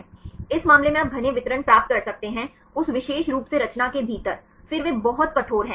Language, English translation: Hindi, In this case you can get the dense distribution right within that particular conformation, then they are very rigid